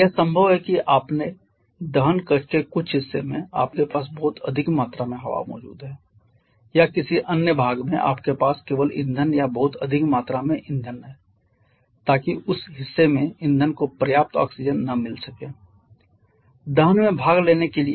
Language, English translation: Hindi, Improper mixing of fuel and oxidiser it is possible that in certain part of your combustion chamber you have too many in too much quantity of air present or in certain other part you have only fuel or a very rich quantity of fuel so that the fuel in that part is not getting sufficient oxygen to participate in combustion